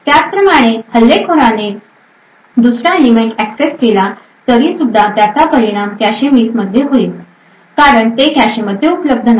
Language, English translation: Marathi, Similarly if the attacker accesses the second element it would also result in a cache miss because it is not available in the cache